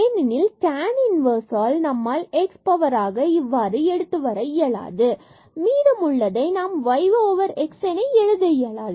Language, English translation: Tamil, Because of this tan inverse we cannot bring x power something and the rest we cannot write in terms of y over x